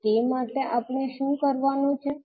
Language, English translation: Gujarati, So for that what we have to do